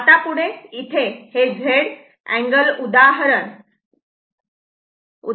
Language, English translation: Marathi, Now, next that is here written example Z angle